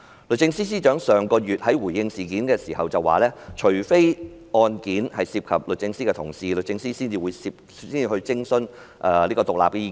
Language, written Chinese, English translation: Cantonese, 律政司司長上月在回應事件時表示，除非案件涉及律政司的同事，律政司才會徵詢獨立意見。, Last month when the Secretary for Justice responded to the incident she said that DoJ would seek independent legal advice only if the case involved the staff of DoJ